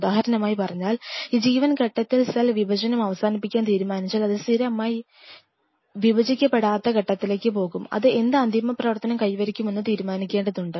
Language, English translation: Malayalam, If cell at this stage say for example, at G 1 phase out here decides to finally, land up that it will become non dividing it will permanently go to the non dividing phase, then it has to decide what final function it will attain what does that mean